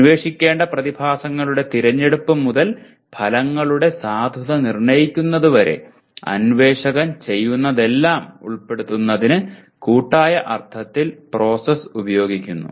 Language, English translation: Malayalam, Process is used in the collective sense to include everything the investigator does from this selection of the phenomena to be investigated to the assessment of the validity of the results